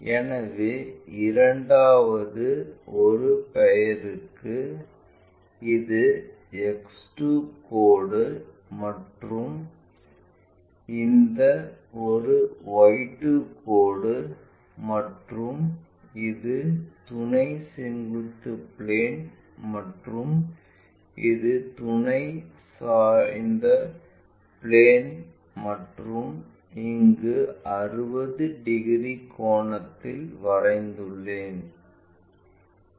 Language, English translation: Tamil, So, for the second one name it as X 2 line and this one Y 2 line and this is our auxiliary vertical plane and this is our auxiliary inclined plane and this angle what we have constructed 60 degrees